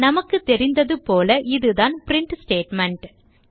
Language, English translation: Tamil, As we know this is a print statement